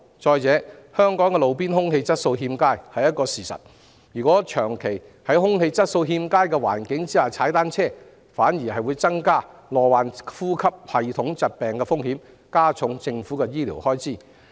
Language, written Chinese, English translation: Cantonese, 再者，香港的路邊空氣質素確實欠佳，長期在空氣質素欠佳的環境下騎單車反會增加罹患呼吸系統疾病的風險，間接加重政府的醫療開支。, Moreover the roadside air quality in Hong Kong is indeed poor and habitual cycling in an environment with poor air quality will increase the risk of respiratory diseases and indirectly increase the Governments health care expenditure